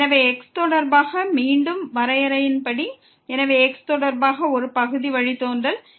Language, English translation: Tamil, So, as per the definition again with respect to , so a partial derivative with respect to